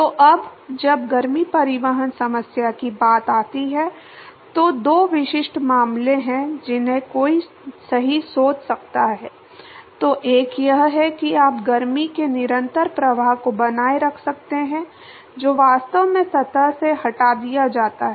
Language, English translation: Hindi, So, now when it comes to heat transport problem, so there are two specific cases that one can sort of think of right, so one is you can maintain a constant flux of heat that is actually removed from the surface